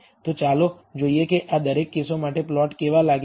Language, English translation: Gujarati, So, let us see how each of these how the plot looks for each of these cases